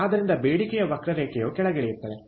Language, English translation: Kannada, so the demand curve will come down